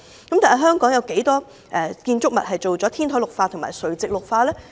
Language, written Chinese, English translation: Cantonese, 但是，香港有多少建築物已完成天台或垂直綠化呢？, But how many buildings in Hong Kong have completed rooftop or vertical greening?